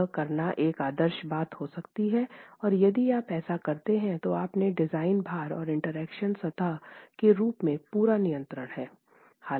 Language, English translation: Hindi, That may be the ideal thing to do, and if you do that, you have complete control in terms of your design loads and the interaction surface itself